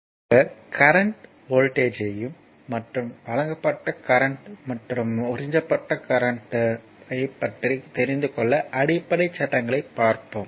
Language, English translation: Tamil, So, basic concept to we have seen particularly the current voltage and that your power and that power supplied and power absorbed, right